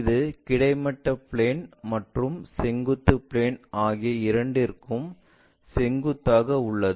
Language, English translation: Tamil, It is perpendicular to both horizontal plane and vertical plane